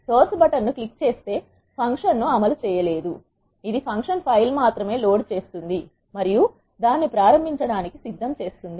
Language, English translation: Telugu, Clicking the source button will not execute the function; it will only load the function file and make it ready for invoking